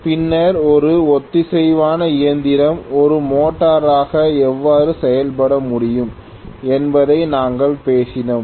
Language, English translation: Tamil, Then, we also talked about how a machine can synchronous machine can work as a motor